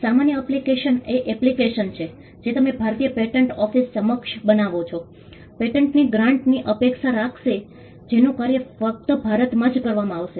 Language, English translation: Gujarati, The ordinary application is an application which you would make, before the Indian patent office, expecting a grant of a patent, which will have operation only in India